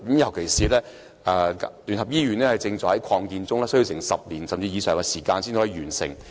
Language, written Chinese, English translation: Cantonese, 尤其聯合醫院正在擴建中，工程須時10年或更長的時間才能完成。, In particular UCH is undergoing expansion which will take a decade or even longer time to complete